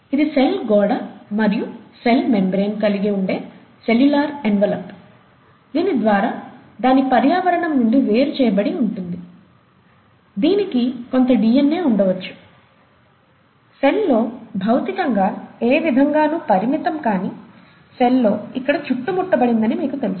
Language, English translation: Telugu, It is of course separated from its environment through a cellular envelope that could have a cell wall and a cell membrane, it could have some DNA, you know kind of strewn around here in the cell which is not limited in any way physically in the cell; and this is prokaryote before nucleus